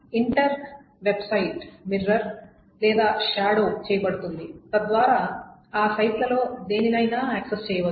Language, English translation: Telugu, So the entire website is mirrored or shadowed so that one can access it from any of those sites